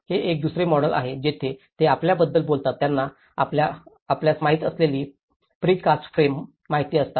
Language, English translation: Marathi, This is one another model where they talk about you know the pre cast frames you know